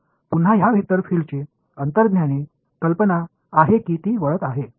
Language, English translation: Marathi, So, again this vector field has an intuitive idea that it is diverging